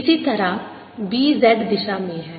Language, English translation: Hindi, similarly, b is in the z direction